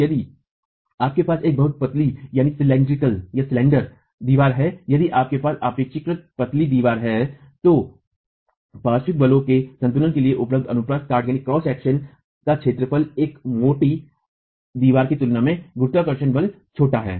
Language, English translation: Hindi, Let us say if the wall is not a very squat wall, if you have a very slender wall, if you have a relatively slender wall, then the area of cross section available for equilibrium the lateral forces and the gravity force is smaller in comparison to a squat wall